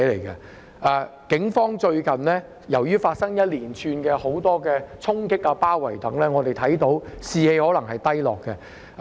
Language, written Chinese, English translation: Cantonese, 由於最近發生了一連串的衝擊和包圍事件，警方的士氣可能低落。, Since a series of storming and sieges have occurred recently the morale of the Police may be low